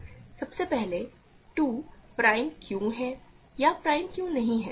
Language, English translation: Hindi, So, first of all, why is 2 prime or not prime